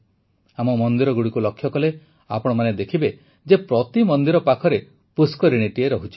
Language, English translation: Odia, If you take a look at our temples, you will find that every temple has a pond in the vicinity